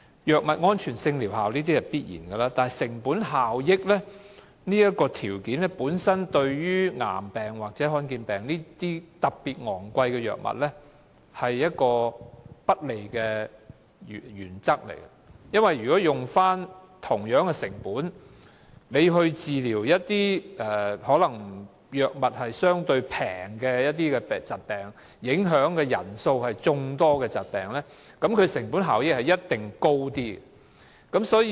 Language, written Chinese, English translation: Cantonese, 藥物安全性和療效是必然的考慮，但成本效益這一項對患上癌病或罕見疾病而需要昂貴藥物治療的病人而言是不利的，原因是以相同的成本，治療所需藥費較低的疾病或影響人數眾多的疾病，其成本效益必定會較高。, While safety and efficacy of drugs are essential considerations the factor of cost - effectiveness is unfavourable for cancer or rare disease patients because for the same amount of money the cost - effectiveness of treating patients requiring less expensive drugs or diseases affecting more people will definitely be higher